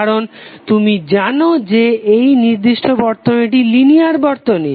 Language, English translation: Bengali, Because you know that this particular circuit is a linear circuit